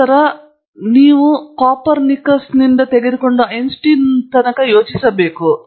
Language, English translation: Kannada, Then a saying is that take Copernicus out and you have to re think Einstein